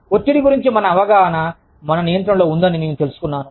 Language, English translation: Telugu, I have learnt that the, our perception of stress, lies within our control